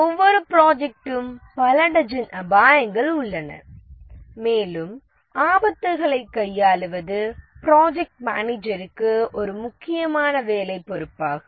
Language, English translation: Tamil, Every project has several dozens of risk that it faces and it is a important job responsibility for the project manager to handle the risks